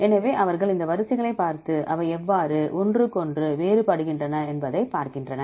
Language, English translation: Tamil, So, they look at these sequences and see how they are different from each other